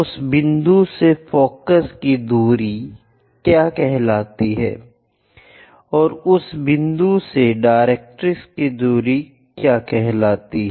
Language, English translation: Hindi, What is the distance from focus to that point, and what is the distance from that point to directrix